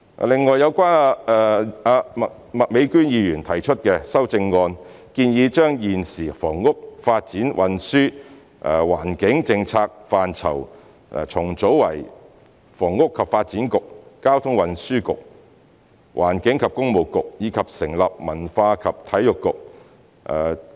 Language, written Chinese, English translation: Cantonese, 另外，有關麥美娟議員提出的修正案，建議將現時房屋、發展、運輸、環境政策範疇重組為房屋及發展局、交通運輸局、環境及工務局，以及成立文化及體育局。, In addition the amendment put forward by Ms Alice MAK proposes reorganizing the existing policy portfolios in respect of housing development transport and environment into areas under the purviews of a Housing and Development Bureau a Traffic and Transport Bureau and an Environment and Works Bureau as well as establishing a Culture and Sports Bureau